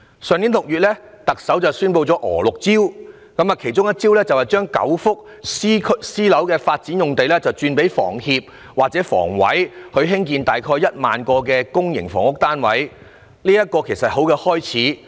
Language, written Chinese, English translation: Cantonese, 特首在去年6月宣布了"娥六招"，其中一招是把9幅私樓發展用地轉給香港房屋協會或香港房屋委員會，用以興建約 10,000 個公營房屋單位，這是一個很好的開始。, In June last year the Chief Executive announces Carries Six Measures one of which is to re - allocate nine private housing sites to the Hong Kong Housing Society and the Hong Kong Housing Authority for building about 10 000 public housing units . That is a good start